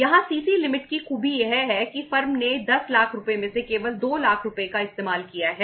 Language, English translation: Hindi, Here the beauty of the CC limit is that the firm has used only 2 lakh rupees out of 10 lakh rupees